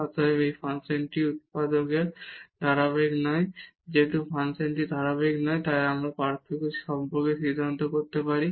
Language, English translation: Bengali, Hence, this function is not continuous at origin and since the function is not continuous we can decide about the differentiability